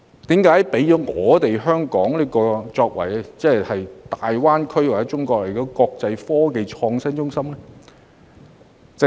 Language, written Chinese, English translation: Cantonese, 然而，為何要讓香港成為大灣區或全國的國際科技創新中心呢？, Yet why Hong Kong is still selected to be established as an international innovation and technology hub in GBA or of the whole country?